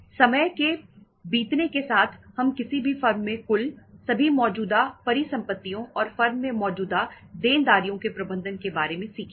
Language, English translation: Hindi, With the passage of time we would learn about managing the total, all the current assets in any firm and the current liabilities in the firm